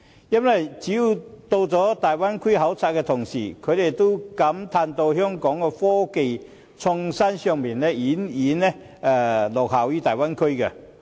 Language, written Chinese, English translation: Cantonese, 因為只要是曾到訪大灣區考察的同事，也會感嘆香港在科技創新上已遠遠落後於大灣區。, That is because any Member who has been to the Bay Area will lament that Hong Kong has lagged way behind other Bay Area cities in innovation and technology